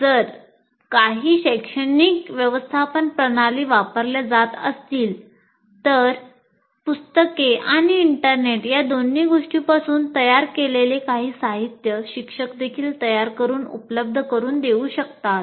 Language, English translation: Marathi, And these days if you are using some academic management system, some curated material both from books and internet can also be prepared by teacher and made available